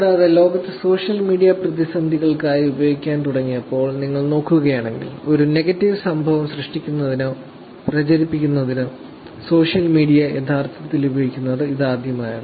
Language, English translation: Malayalam, Also, in the world if you look at it when social media was started using, were being used for crisis, this is the first time when social media was actually used to create or to propagate an incident